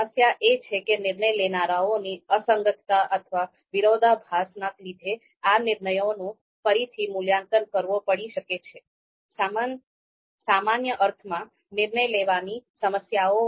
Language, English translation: Gujarati, Now what is the problem with this approach is that the decision maker’s inconsistencies or contradiction may actually lead to reevaluation of the judgments